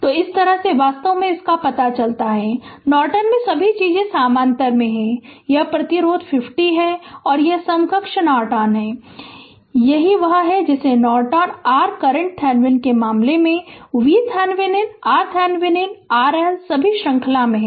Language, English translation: Hindi, So, this is how actually we find out that means, in Norton that all the things are in parallel; this resistance 50 ohm and this is equivalent Norton, and this is ah what you call that Norton your current in the case of Thevenin, V Thevenin R, Thevenin R L all are in ah series